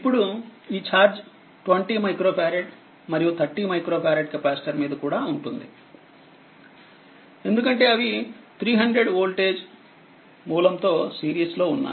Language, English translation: Telugu, now this ah actually it will be is this is the charge on 20 micro farad and 30 micro farad capacitor because they are in series with 300 voltage source right